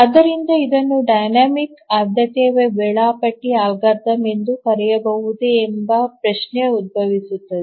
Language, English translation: Kannada, And why do we call it as a dynamic priority scheduling algorithm